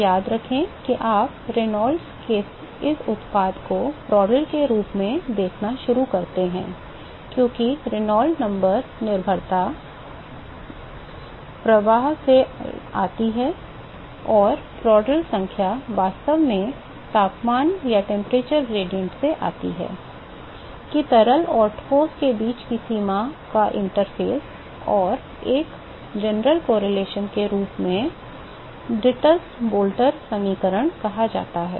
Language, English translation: Hindi, So, remember that you start seeing this product of Reynolds to Prandtl, because Reynolds number dependence comes from the flow and the Prandtl number actually comes from the temperature gradient, that the boundary or the interface between the fluid and the solid and a general correlation as called the Dittus Boelter equation